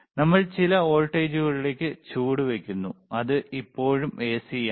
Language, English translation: Malayalam, We are stepping down to some voltage, and thenwhich is still AC